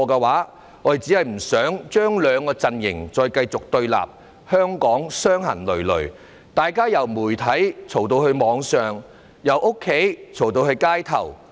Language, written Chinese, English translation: Cantonese, 我們只是不想兩個陣營繼續對立，令香港傷痕累累，大家從媒體吵到網上，從家裏吵到街頭。, We just do not want to see the two camps continue to confront each other thus inflicting repeated damage on Hong Kong with various parties quarrelling in various mass media on the Internet at home and in the streets